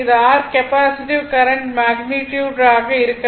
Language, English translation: Tamil, This is will be the your capacitive current magnitude 43